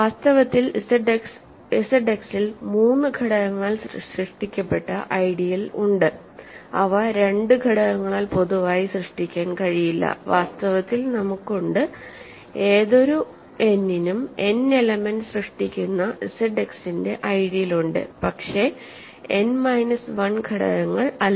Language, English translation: Malayalam, In fact, there are ideals in Z X that are generated by three elements and that cannot be generated by 2 elements in more generally and we have in fact, for any n there are ideals of Z X that are generated by n elements, but not by n minus 1 elements ok